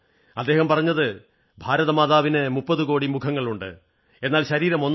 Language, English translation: Malayalam, And he said that Mother India has 30 crore faces, but one body